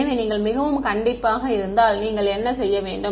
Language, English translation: Tamil, So, if you are very very strict what you should do